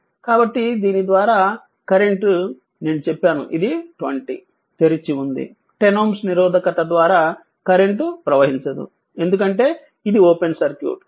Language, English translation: Telugu, So, current through this I told you 20 upon this is open this no current is flowing through 10 ohm resistance, because it is open circuit